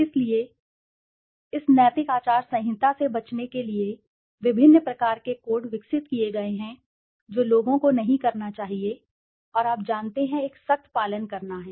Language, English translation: Hindi, So, different types of codes have been developed to avoid this ethical code of conducts to people should not be doing it, and you know, to have a strict adherence